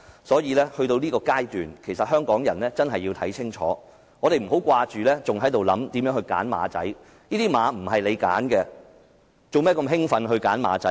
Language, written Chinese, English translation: Cantonese, 所以，來到這個階段，其實香港人真要看清楚，我們不要只想着如何"揀馬仔"，這些馬並非由你們挑選，何必如此興奮"揀馬仔"？, Therefore at this stage Hongkongers really have to open their eyes instead of focusing their minds only on picking candidates . Why do we have to scramble to pick a candidate when we in fact are not entitled to choose anyone?